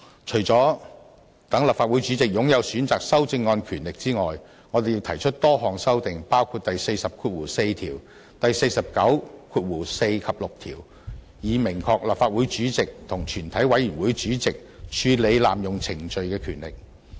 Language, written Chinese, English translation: Cantonese, 除了讓立法會主席擁有選擇修正案的權力外，我們亦提出多項修訂，包括第404條和第494及6條，以明確立法會主席和全委會主席處理濫用程序的權力。, Apart from giving the President the power of selecting amendments we have proposed a number of amendments including Rule 404 Rule 494 and Rule 496 to clearly provide for the power of the President and the Chairman of the committee of the whole Council to deal with an abuse of procedure